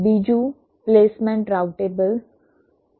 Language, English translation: Gujarati, secondly, the placement is routable